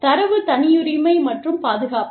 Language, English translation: Tamil, Data privacy and protection